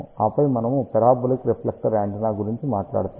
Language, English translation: Telugu, And then we will talk about parabolic reflector antenna